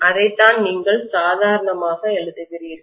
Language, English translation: Tamil, That is what you write normally